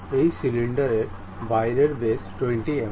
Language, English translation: Bengali, The outside diameter of this cylinder is 20 mm